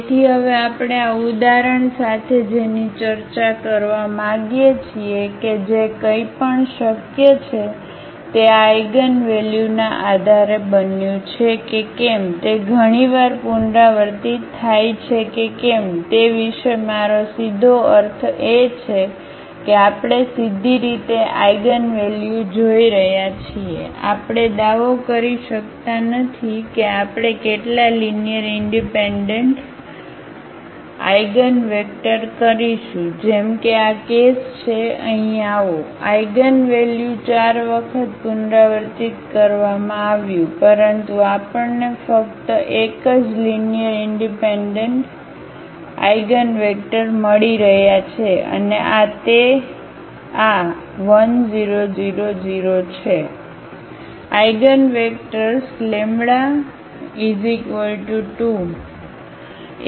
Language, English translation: Gujarati, So, what we want to discuss now with this example that that anything is possible just based on this eigenvalue whether it’s repeated several times we cannot claim anything about I mean directly looking at the eigenvalue, we cannot claim that how many linearly independent eigenvectors we will get as this is the case here the eigenvalue was repeated 4 times, but we are getting only 1 linearly independent eigenvector and that is this 1 0 0 in this case